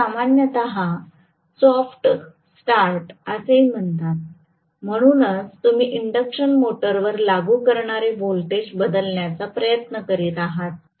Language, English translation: Marathi, This is also generally termed as soft start, so you are essentially trying to look at changing the voltage that is being applied to the induction motor